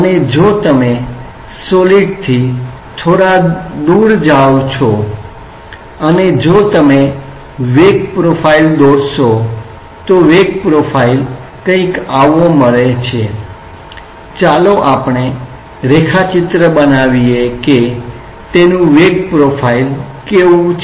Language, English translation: Gujarati, And if you go a little bit away from the solid and if you draw the velocity profile say the velocity profile is obtained something like let us make a sketch of how the velocity profile is there